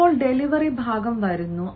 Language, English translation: Malayalam, now comes the delivery part